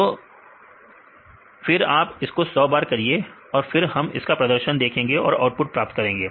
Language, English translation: Hindi, So, then you do it for 100 times then see whether the perform after that we get all the output